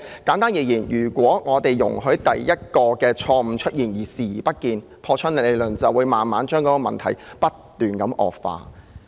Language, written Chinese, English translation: Cantonese, 簡單而言，只要容許第一個錯誤出現而視而不見，根據破窗理論，問題便會不斷惡化。, Simply put when the first mistake is committed but we choose to turn a blind eye to it things will only keep deteriorating under the broken window theory